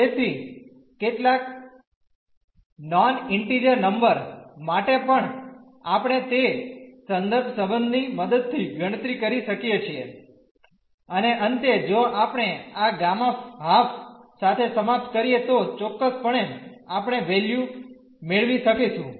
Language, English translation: Gujarati, So, for some non integer number as well we can compute using that reference relation and at the end if we end up with this gamma half then certainly we can get the value